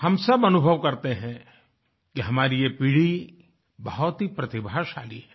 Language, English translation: Hindi, All of us experience that this generation is extremely talented